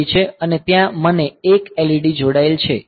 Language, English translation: Gujarati, 3 and there I have got 1 LED connected